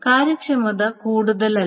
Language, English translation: Malayalam, So, the efficiency is not much